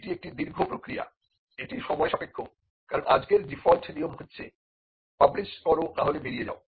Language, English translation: Bengali, Now, this is a long process it can take time, because the default today is publish or perish